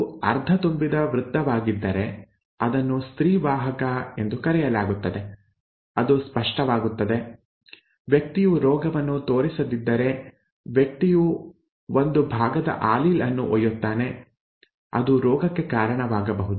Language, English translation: Kannada, If it is a half filled circle then something called a female carrier, it will become clearer, if the person does not show the disease with person carries a part one allele which can cause the disease